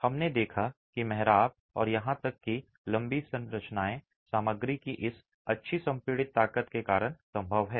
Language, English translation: Hindi, We saw the arches and even tall structures are possible because of this good compressive strength of the material itself